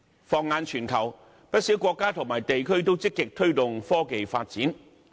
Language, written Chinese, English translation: Cantonese, 放眼全球，不少國家及地區均積極推動科技發展。, In the international scene a number of countries and regions are proactively promoting technological development